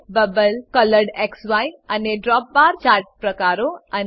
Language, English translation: Gujarati, Bubble, ColoredXY and DropBar chart types and 4